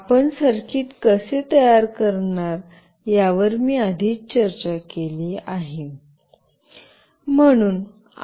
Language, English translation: Marathi, I have already discussed how you will be making the circuit